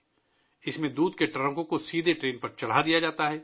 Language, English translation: Urdu, In this, milk trucks are directly loaded onto the train